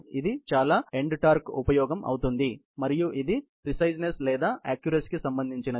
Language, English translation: Telugu, This would be the high end torque application and this would be more related to preciseness or accuracy